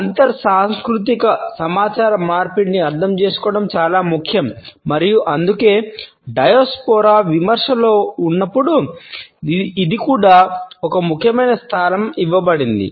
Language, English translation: Telugu, It is important to understand the inter cultural communication and that is why it is also given an important place now in the Diaspora criticism